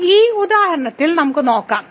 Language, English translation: Malayalam, So, let us see in this example